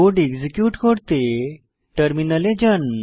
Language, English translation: Bengali, To execute the code, go to the terminal